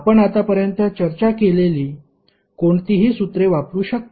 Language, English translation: Marathi, You can use any formula which we have discussed till now